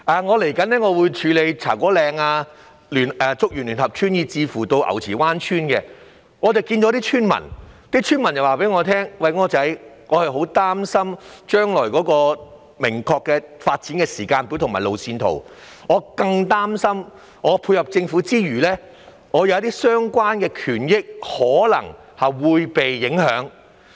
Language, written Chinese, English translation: Cantonese, 我即將協助處理茶果嶺、竹園聯合村及牛池灣村的清拆問題，區內村民曾向我表達憂慮，既擔心經落實的發展時間表及路線圖的詳情，亦擔心在配合政府之餘，自身權益可能會受到影響。, I will soon assist in matters relating to the clearance of Cha Kwo Ling Ngau Chi Wan and Chuk Yuen United Villages . People living in these villages have relayed to me their worries about the details of the finalized timetable and roadmap for redevelopment fearing that their own rights may be affected while cooperating with the Government